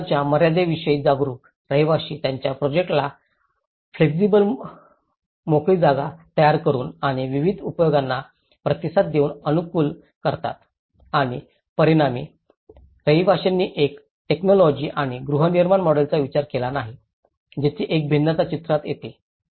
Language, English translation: Marathi, And, conscious about the limitations of the resources, residents optimize their projects by creating flexible spaces and responding to various uses and as a result, residents have not considered one single technology or a housing model, there is a diversity come into the picture